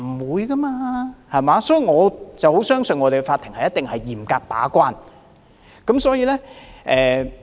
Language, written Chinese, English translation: Cantonese, 所以，我很相信香港的法庭一定會嚴格把關。, Thus I have great confidence that the courts of Hong Kong will perform the gatekeeping role stringently